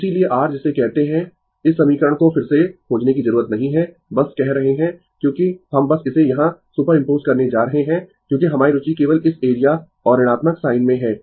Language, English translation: Hindi, So, therefore, ah your what you call you need not find out this equation again just say because just we are super imposing it here because our interest is only this area and the negative sign